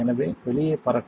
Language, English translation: Tamil, So, fly out